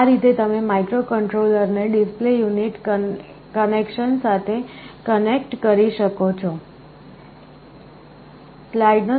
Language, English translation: Gujarati, This is how you make the connection microcontroller to the display unit